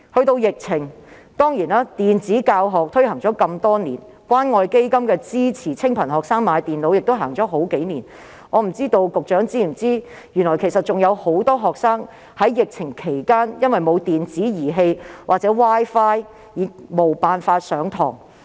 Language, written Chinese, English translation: Cantonese, 在疫情方面，雖然電子教學已推行多年，而資助清貧學生購買電腦的關愛基金項目亦已推行數年，但我不知道局長是否知悉有很多學生在疫情期間因沒有電子器材或 Wi-Fi 而無法上課？, As regards the epidemic situation although e - teaching has been implemented for many years and the Community Care Fund has also implemented a programme to subsidize needy students to purchase computers for several years I wonder if the Secretary is aware that many students are unable to take classes during the epidemic because they do not have electronic equipment or Wi - Fi?